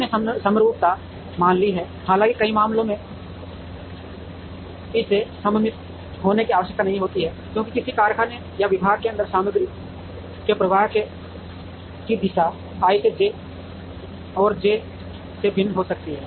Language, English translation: Hindi, We have assumed symmetry though in many cases it need not be symmetric because the direction of flow of material inside a factory or a department can be different from i to j and j to i